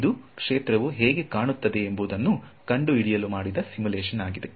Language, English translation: Kannada, So now, this is a simulation which was done to find out what the field looks like ok